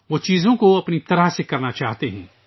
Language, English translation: Urdu, They want to do things their own way